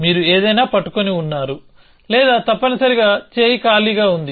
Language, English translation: Telugu, So, either you are holding something or arm is empty essentially